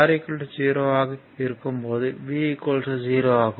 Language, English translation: Tamil, And in that case v is equal to 0